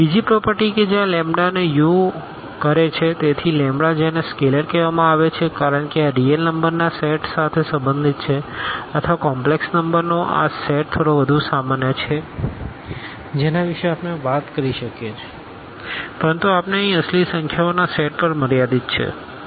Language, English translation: Gujarati, Another property that this lambda times u, so, the lambda which is called is scalar because lambda belongs to this set of real numbers or little more general this set of complex numbers we can talk about, but we are restricting to the set of real numbers here